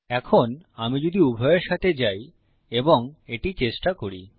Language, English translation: Bengali, Now if I go with both of them and try it out